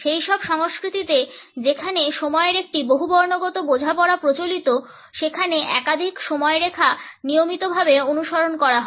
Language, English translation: Bengali, In those cultures where a polychronic understanding of time is prevalent, multiple timelines are routinely followed